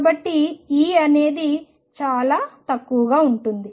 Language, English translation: Telugu, So, E is going to be insignificant